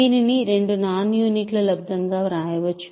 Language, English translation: Telugu, It can be written as two product of two non units